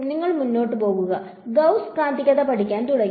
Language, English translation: Malayalam, Then you move forward Gauss began to study magnetism